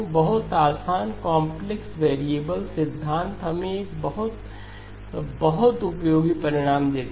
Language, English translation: Hindi, Very easy, complex variable theory gives us a very, very useful result